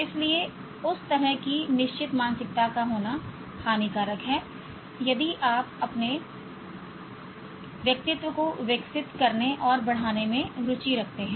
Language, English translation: Hindi, So it's harmful to have that kind of fixed mindset, especially if you are interested in developing and enhancing your personality